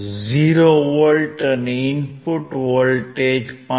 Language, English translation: Gujarati, 40 volt and input voltage is 5